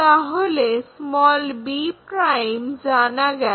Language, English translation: Bengali, So, b ' is known